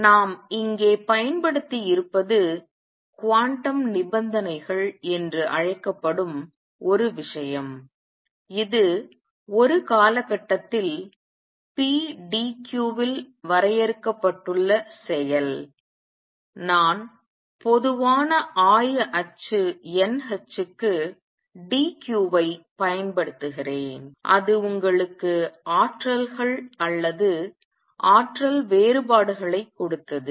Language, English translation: Tamil, And what we have used here are some thing called the quantum conditions that tell you that the action a which is defined over a period pdq, I am just using dq for generalized coordinate is n h and that gave you the energies or energy differences